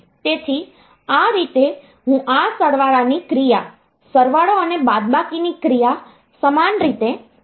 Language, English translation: Gujarati, So, this way I can get this addition operation done, addition and subtraction operation done in the same fashion